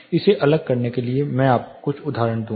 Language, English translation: Hindi, To differentiate it I will give you some example